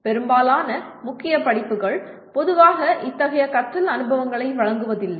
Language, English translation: Tamil, Most of the core courses do not generally provide such learning experiences